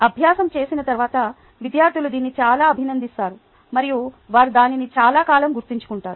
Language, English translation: Telugu, students appreciate this a lot after doing the exercise and they remember it for a long time